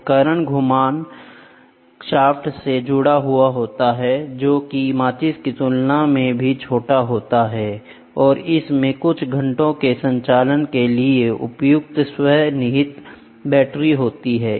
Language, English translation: Hindi, The equipment attached to the rotating shaft can be smaller than the matchbox and has self contained batteries suitable for some hours of operation